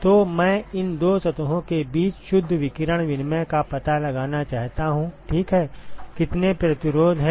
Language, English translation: Hindi, So, I want to find out the net radiation exchange between these two surfaces ok, how many resistances are there